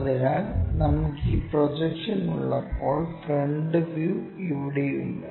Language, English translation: Malayalam, So, when we have this projection, the front view is here